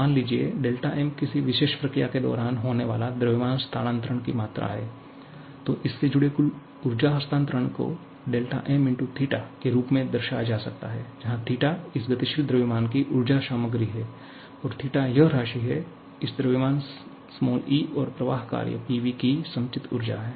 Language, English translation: Hindi, And if you are having suppose, del m amount of mass transfer taking place during a particular process then, total energy transfer associated with this can be represent it as del m * theta, where theta is the energy content of this moving mass and this theta can often be expanded as the stored energy of this mass plus the flow work